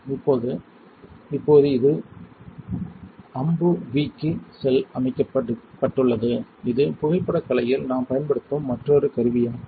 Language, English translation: Tamil, Now, right now it is setup for the AMBUV which is another tool we use in photolithography